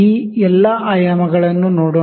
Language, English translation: Kannada, Let us see all these dimensions